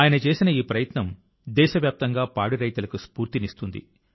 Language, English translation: Telugu, This effort of his is going to inspire dairy farmers across the country